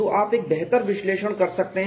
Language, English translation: Hindi, So, you can do a better analysis